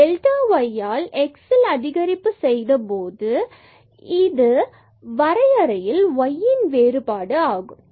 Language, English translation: Tamil, So, when we have made an increment in delta in x by delta x then this is the change in delta y